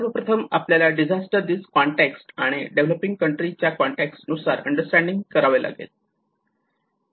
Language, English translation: Marathi, First of all, we have to understand with the especially from the disaster risk context and also with the developing countries context